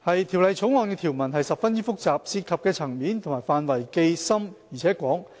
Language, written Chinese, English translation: Cantonese, 《條例草案》的條文十分複雜，涉及的層面及範圍既深且廣。, The provisions of the Bill are very complicated and the scope and extent covered are deep and extensive